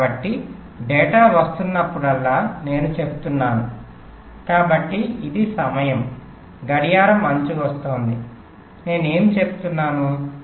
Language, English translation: Telugu, so what i am saying is: whenever i have a data coming so this is time the clock edge is coming what i am saying: i must keep my data stable